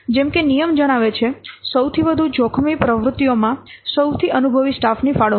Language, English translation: Gujarati, So, as the rules says, allocating the most experienced staff to the highest risk activities